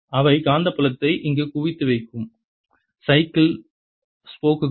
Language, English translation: Tamil, here they are, you know, bicycles spokes that make the magnetic field concentrated here